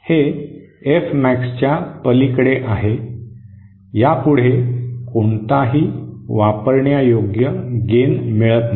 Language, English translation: Marathi, That is beyond F max it no longer gives any usable gain